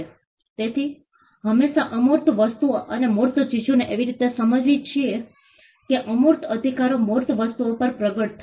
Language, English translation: Gujarati, So, we always understand as intangible things and the tangible things together in such a way that the intangible rights manifest over tangible things